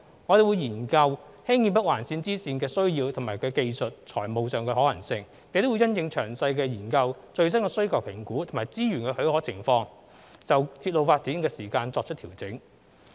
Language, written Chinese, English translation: Cantonese, 我們會研究興建北環綫支綫的需要及其技術與財務可行性，並會因應詳細研究、最新需求評估及資源的許可情況，就鐵路發展時間表作出調整。, We will study the need as well as the technical and financial feasibilities of constructing the bifurcation of NOL and adjust the development timetable according to the detailed study assessment on the latest demand and availability of resources